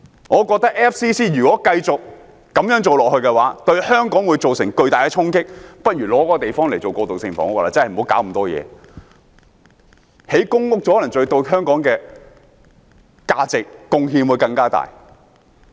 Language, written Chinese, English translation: Cantonese, 我認為 FCC 如果繼續這樣做，對香港會造成巨大的衝擊，不如把那個地方用作過渡性房屋，不要製造那麼多問題，興建公屋可能對香港的價值和貢獻更大。, I think if FCC continues to do what it has done it will create serious clashes in Hong Kong . It would be better to use FCCs premises for transitional housing to avoid causing so much trouble again . Building public housing units on that piece of land may create more value and make a greater contribution to Hong Kong